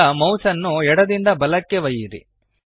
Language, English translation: Kannada, Now move the mouse left to right